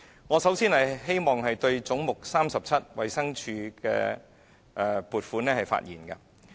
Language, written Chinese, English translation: Cantonese, 我首先想就"總目 37― 衞生署"的撥款發言。, First I wish to talk about the funding for Head 37―Department of Health